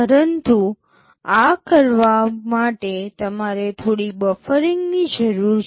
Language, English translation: Gujarati, But in order do this, you need some buffering